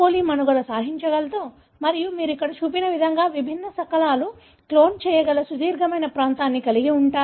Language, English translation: Telugu, coli can survive, if it has got the plasmid and then you have a long region in which you will be able to clone different fragments like what is shown here